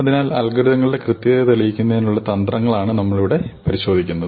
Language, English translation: Malayalam, So, we look at the strategies for proving the correctness of algorithms